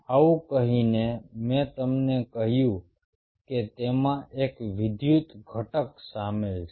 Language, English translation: Gujarati, having said this, i told you that there is an electrical component involved in it